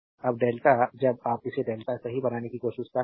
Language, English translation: Hindi, Now, delta when you are trying to make it delta right